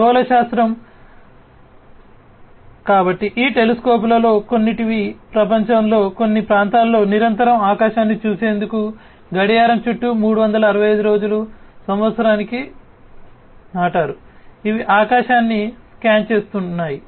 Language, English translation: Telugu, Astronomy, you know, so some of these telescopes have been planted in certain parts of the world to look at the sky continuously, round the clock 365 days, a year these are scanning the sky